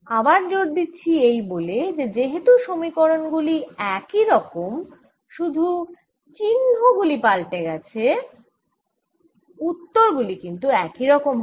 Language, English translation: Bengali, again emphasizing: since the equations are the same, only the symbols have changed, the answers should be the same